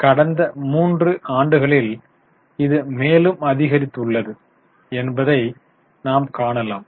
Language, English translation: Tamil, So, you can see over the period of three years it has increased